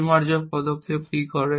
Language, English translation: Bengali, What do refinement steps do